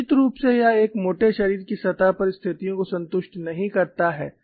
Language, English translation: Hindi, Certainly it does not satisfy the conditions in the surface of a thicker body